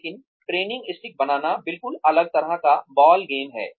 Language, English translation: Hindi, But, making the training stick, is a totally different ball game